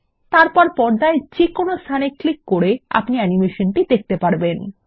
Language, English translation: Bengali, Then click anywhere on the screen to view the animation